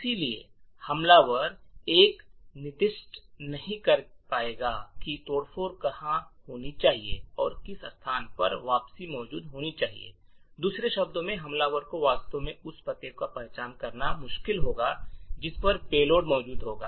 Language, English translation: Hindi, Therefore, the attacker would not be able to specify where the subversion should occur and to which location should the return be present, on other words the attacker will find it difficult to actually identify the address at which the payload would be present